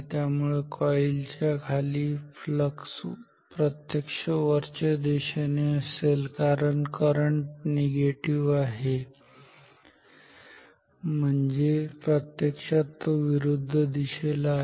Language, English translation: Marathi, So, the flux below this coil will be actually upwards because this current is negative means actually in the opposite direction